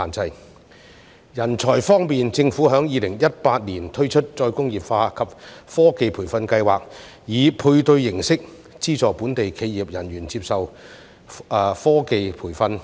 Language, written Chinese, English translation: Cantonese, 至於人才方面，政府在2018年推出再工業化及科技培訓計劃，以配對形式資助本地企業人員接受科技培訓。, On talent the Government launched the Reindustrialisation and Technology Training Programme in 2018 which funds local enterprises on a matching basis for their staff to receive training in advanced technologies